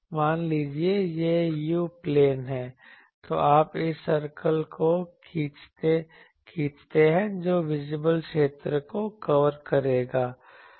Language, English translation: Hindi, Suppose, this is u plane, so you draw the visible always this circle will be covering the visible region